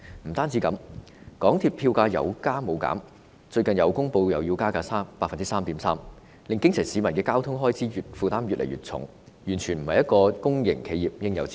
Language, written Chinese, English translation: Cantonese, 不單如此，港鐵票價有加無減，最近又公布會加價 3.3%， 令基層市民的交通開支負擔越來越重，完全不是公營企業的應有之道。, What is more the MTR fares have always increased rather than decreased and recently an 3.3 % fare increase has been announced causing the grass roots to be increasingly burdened by the transport expenses . This is entirely unbecoming of a public enterprise